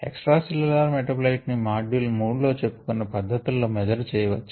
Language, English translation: Telugu, extracellular metabolite can be measured by some of the methods that we talked about in in earlier module, module three